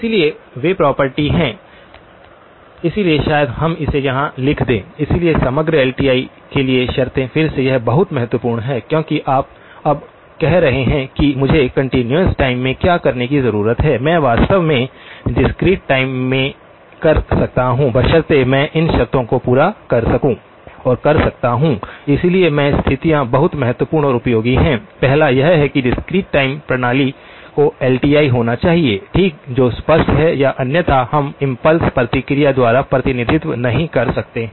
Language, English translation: Hindi, So, those are the property, so maybe we just write it down here, so the conditions for overall LTI, again this is very, very important because you are now saying what I needed to do in the continuous time, I am actually can do it in the discrete time provided I can satisfy these conditions, so these conditions are very important and useful, the first one is that discrete time system must be LTI okay that is obvious or otherwise we cannot represented by an impulse response